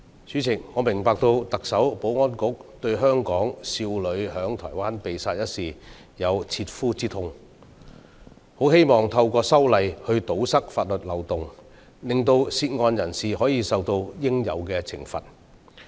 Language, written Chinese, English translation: Cantonese, 主席，我明白特首、保安局對香港少女在台灣被殺一事，有切膚之痛，很希望透過修例堵塞法律漏洞，令涉案人士可以受到應有的懲罰。, President I understand that the Chief Executive and the Security Bureau deeply feel the pain over the killing of the Hong Kong teenage girl in Taiwan . They strongly hope to remove the legal loopholes by means of legislative amendments in order to bring the person involved to justice